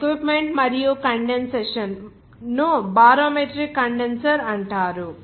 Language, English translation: Telugu, So equipment and condensation are called a barometric condenser